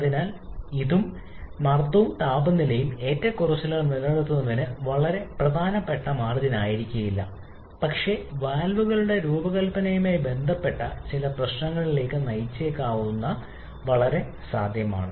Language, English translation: Malayalam, So, both pressure and temperature that keeps fluctuating may not be by a very significant margin, but that is very much possible which can lead to certain issues related to the design of the valves